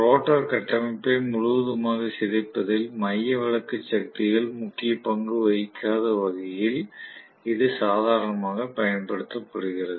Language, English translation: Tamil, That is how it is used normally, so that the centrifugal forces do not play a major role especially in deforming the rotor structure completely